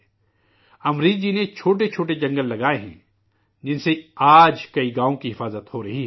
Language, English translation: Urdu, Amreshji has planted micro forests, which are protecting many villages today